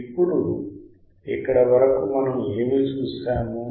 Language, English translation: Telugu, Here what we have seen until here